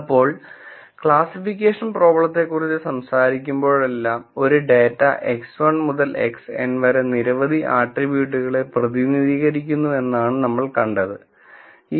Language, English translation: Malayalam, Now, whenever we talk about classification problems, we have described this before, we say a data is represented by many attributes, X 1 to X n